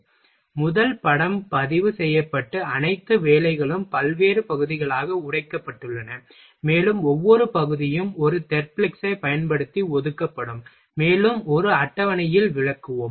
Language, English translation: Tamil, So, first film is recorded and all job is broken in various part, and each part is assigned operation is assigned using a Therblig’s, and we will explain in a table